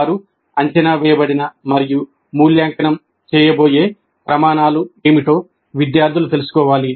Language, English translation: Telugu, Students must know what would be the criteria on which they are going to be assessed and evaluated